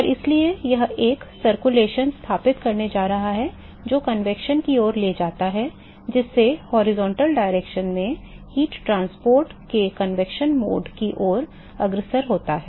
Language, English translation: Hindi, And so that is going to set up a circulation leading to convection leading to convective mode of heat transport in the horizontal direction